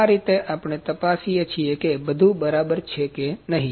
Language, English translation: Gujarati, In this way, we check that everything is quite well or not